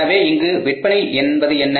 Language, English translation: Tamil, So, what are the sales